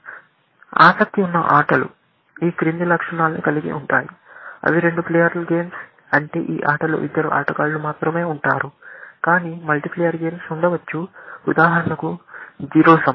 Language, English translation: Telugu, In particular, the games that will be interested in, have this following characteristic; they are two player games, which means that there are only two players in this game, but there can be multi player games, may be, will give an example, Zero Sum